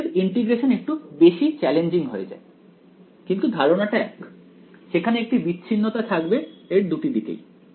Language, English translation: Bengali, So, that integration becomes little bit more challenging ok, but the idea is the same there is going to be a discontinuity of one on both sides of the thing